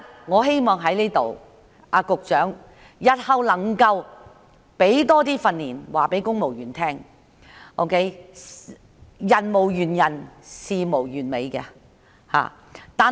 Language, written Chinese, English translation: Cantonese, 我希望局長日後加強訓練，讓公務員知道人無完人、事無完美。, I hope that the Secretary will enhance training so that civil servants will know that nobody is flawless and nothing is perfect